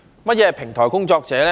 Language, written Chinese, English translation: Cantonese, 何謂平台工作者呢？, What is meant by platform workers?